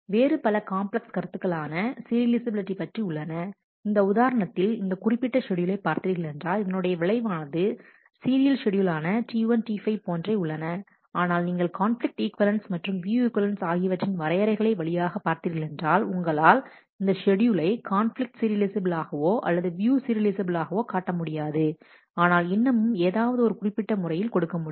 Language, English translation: Tamil, There are different other complex motions of serializability also for example, if you look at this particular schedule this actually is a serializable schedule, this is the effect that it produces will be same as the serial schedule of T 1 T 5, but if you go through the definitions of conflict equivalence and, view equivalence you will be able to show that this schedule is neither conflict conflict serializable nor view serializable, but yet given the particular